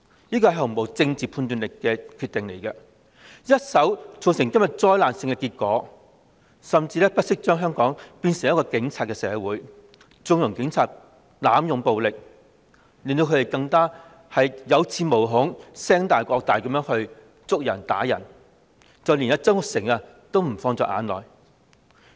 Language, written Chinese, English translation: Cantonese, 這個毫無政治判斷能力的決定一手造成今天災難性的結果，甚至不惜將香港變成警察社會，縱容警察濫用暴力，令他們更有恃無恐，橫蠻地拘捕和毆打示威者，連曾鈺成也不放在眼內。, It was a decision devoid of political judgment one that has led to the catastrophic outcome today . It did not hesitate to turn Hong Kong into a police society and connive at the excessive force employed by the Police making the Police feel secure in the knowledge that they have strong backing so they can arbitrarily arrest and brutally beat the protesters and show little respect even to Mr Jasper TSANG